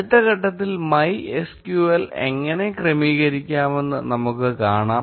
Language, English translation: Malayalam, In the next step, we will see how to configure MySQL